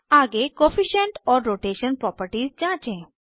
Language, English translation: Hindi, Next let us check the Coefficient and Rotation properties